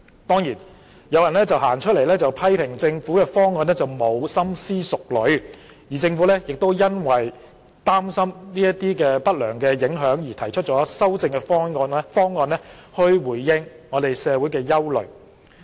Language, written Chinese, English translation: Cantonese, 當然，有人批評政府的方案欠缺深思熟慮，政府亦因擔心這些不良的影響而提出了修正的方案去回應社會的憂慮。, Of course some people criticize the Government for the lack of careful consideration in its proposal . Worried about such negative impact the Government has introduced a revised proposal to respond to concerns in society